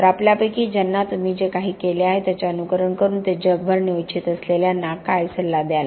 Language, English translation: Marathi, So what would be word of advice to those of us who want to emulate what you have done and take this all over the world